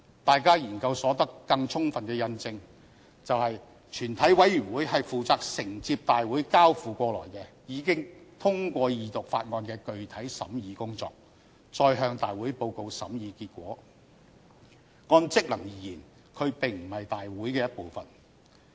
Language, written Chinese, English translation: Cantonese, 大家的研究所得更充分印證，全體委員會是負責承接大會交付過來、已經通過二讀法案的具體審議工作，再向大會報告審議結果；按職能而言，它並非大會的一部分。, Our research proves that the Committee of the whole Council is tasked with the duty to scrutinize in detail bills handed over from Council meetings which have gone through Second Reading and then report to the Council again the result of the scrutiny . In respect of functions it is not part of the Council meeting